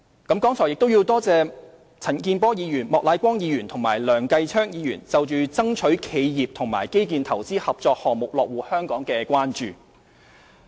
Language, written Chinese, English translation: Cantonese, 我亦感謝陳健波議員、莫乃光議員及梁繼昌議員對爭取企業及基建投資合作項目落戶香港的關注。, I also thank Mr CHAN Kin - por Mr Charles Peter MOK and Mr Kenneth LEUNG for their concerns on attracting enterprises and infrastructure joint projects to Hong Kong